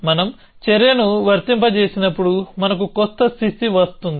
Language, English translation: Telugu, We say that when the action is applied we get a new state